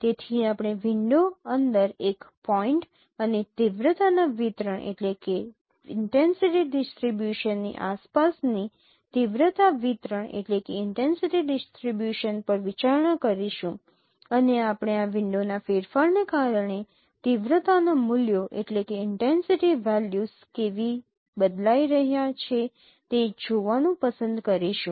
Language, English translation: Gujarati, So we will be considering the intensity distribution around a point on intensity distribution within the window and you would like to see how intensity values are changing because of the changing of this windows